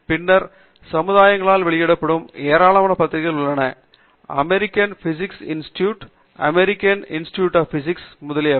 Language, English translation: Tamil, And then, there are a large number of journals that are published by societies: American Physical Society, American Institute of Physics, etcetera